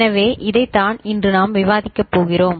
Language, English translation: Tamil, So, this is what we are going to discuss today